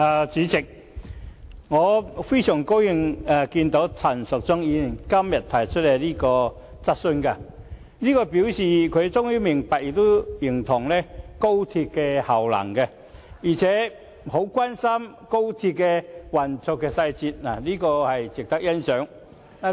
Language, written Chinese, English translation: Cantonese, 主席，對於陳淑莊議員今天提出這項質詢，我感到很高興，這表示她終於明白亦認同高鐵的功能，並且十分關心高鐵的運作細節，這點值得欣賞。, President I am very happy to see Ms Tanya CHANs moving of this motion today . This shows that she has finally come to see and recognize the usefulness of XRL and is very concerned about the fine details of its operation